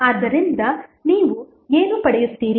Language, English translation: Kannada, So, what you get